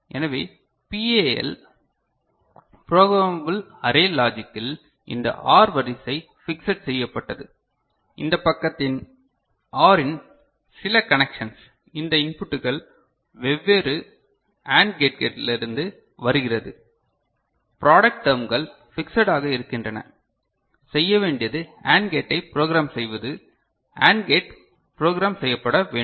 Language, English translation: Tamil, So, in PAL Programmable Array Logic, this OR array is fixed, this side certain connections of the OR these inputs coming from different AND gates, product terms that remain fixed, what you can do is, program the AND plane, program the AND plane, you get the point